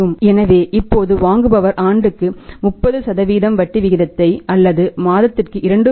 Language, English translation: Tamil, So, if now the buyer is ready to pay 30% per annum rate of interest or 2